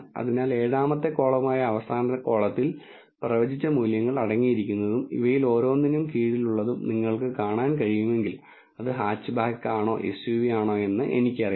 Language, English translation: Malayalam, So, if you can see the last column which is the 7th column contains the predicted values and under each of these I have whether it is hatchback or SUV